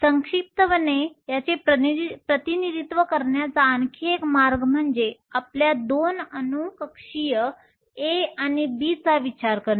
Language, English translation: Marathi, Another way to represent this compactly is to consider your 2 atomic orbitals A and B